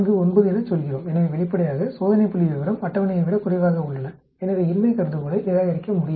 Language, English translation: Tamil, 49 so obviously, the test statistics is less than the table, so cannot reject null hypothesis